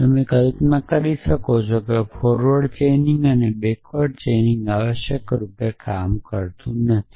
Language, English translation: Gujarati, So, you can imagine that forward chaining and backward chaining does not work at all essentially